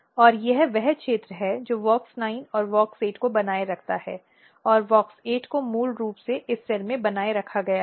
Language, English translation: Hindi, And, this is the region which retains both WOX 9 and WOX 8, and WOX 8 alone is basically maintained in this cell